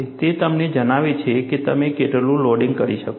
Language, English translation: Gujarati, It tells you how much loading you can do